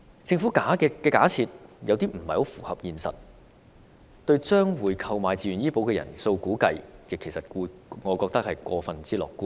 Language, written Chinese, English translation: Cantonese, 政府的稅率假設有點不太符合現實，對於將會購買自願醫保的人數估計，我認為是過於樂觀。, As the Governments estimation of the uptake of VHIS is based on an unrealistic assumption of tax rate I am afraid the Government may be over optimistic . It is the wish of the Government to attract more young applicants to purchase VHIS